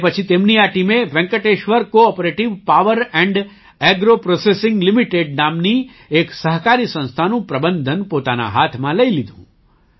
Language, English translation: Gujarati, After this his team took over the management of a cooperative organization named Venkateshwara CoOperative Power &Agro Processing Limited